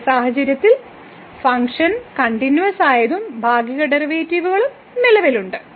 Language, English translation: Malayalam, In this case function is also continuous and partial derivatives also exist